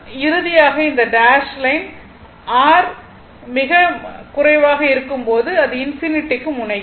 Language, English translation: Tamil, Finally, this dash line when R is very low it is tending to your what you call to infinity right tending to infinity